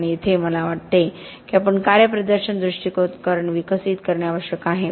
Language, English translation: Marathi, And here I think we need to be developing the performance approaches